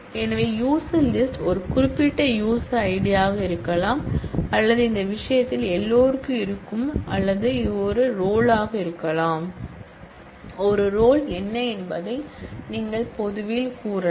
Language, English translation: Tamil, So, user list could be a specific user ID or you could say public which in this case everybody will have that or this could be a role which will see, what a role is